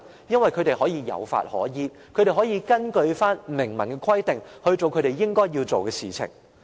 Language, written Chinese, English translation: Cantonese, 因為他們有法可依，可以根據明文規定，做他們應該要做的事情。, Because there will be a law which they can follow . They can do what they should in accordance with the express provisions